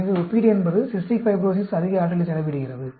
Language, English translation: Tamil, So, the comparison is Cystic Fibrosis expends more energy